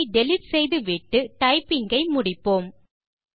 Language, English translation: Tamil, Lets delete it and complete the typing